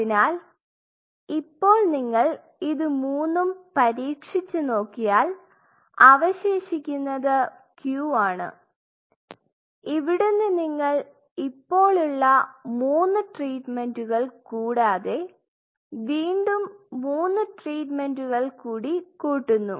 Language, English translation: Malayalam, So, now you see try all this three then you have this Q and here you realize you have to increase, three more treatment though three more treatments are